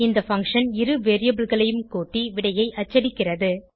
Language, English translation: Tamil, This function performs the addition of 2 variables and prints the answer